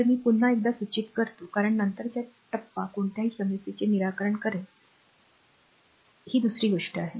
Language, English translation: Marathi, So, I suggest once again when we because later stage we will solve any problem is another thing